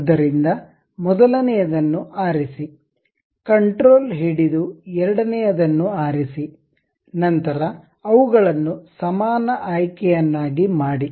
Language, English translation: Kannada, So, select that first one control hold and pick the second one; then make it equal option